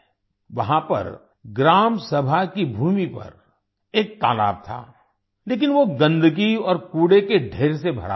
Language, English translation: Hindi, There was a pond on the land of the Gram Sabha, but it was full of filth and heaps of garbage